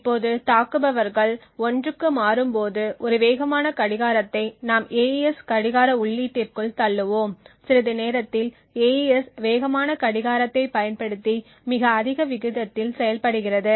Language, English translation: Tamil, Now when the attackers switches to 1 so momentarily we would have a fast clock that is pushed into the AES clock input and momentarily the AES is functioning at a very high rate using the fast clock